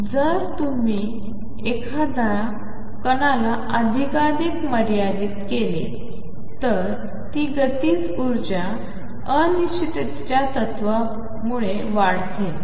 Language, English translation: Marathi, So, if you confine a particle more and more it is kinetic energy tends to increase because of the uncertainty principle